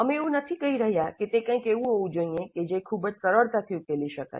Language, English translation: Gujarati, We are not saying that it should be something which can be solved very easily